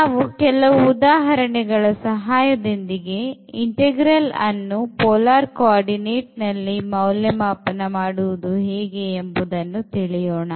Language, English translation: Kannada, So, we will see with the help of examples now how to evaluate integrals in polar form